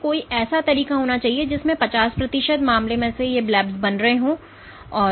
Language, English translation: Hindi, So, there must be a way in which for 50 percent case in which these blebs are getting formed and the blebs